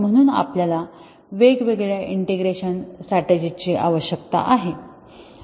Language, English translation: Marathi, So, we need different integration strategies